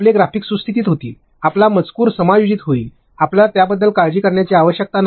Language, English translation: Marathi, Your graphics will get adjusted, your text will get adjusted, you need not worry about it